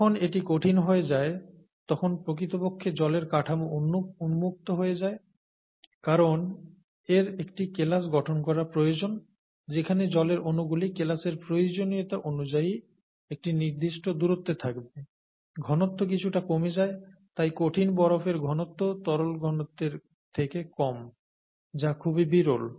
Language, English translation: Bengali, When it becomes a solid the structure of water actually opens up because it needs to have a crystal structure with the water molecules being kept at a certain distance because of the crystal needs, and the density actually goes down a little bit, and therefore the solid ice density is lower than the liquid density, is very rare